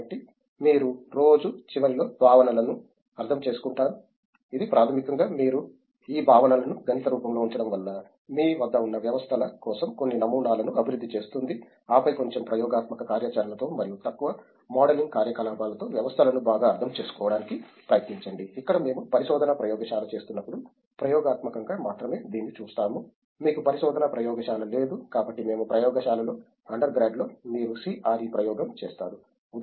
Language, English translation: Telugu, So you understand the concepts at the end of the day it is basically you put in the mathematical form of this concepts develops some models for the systems what you have, and then try to understand the systems better with a little experimental activity and also little modeling activity where we tend to do it only experimentally when we are doing a research laboratory in, you don’t have research laboratory as such we do in laboratories in under grad you just do a CRE experiment for example, say continuous tank reactor you just do to learn what are the theories that is already established, the same thing you do here for establishing a new theories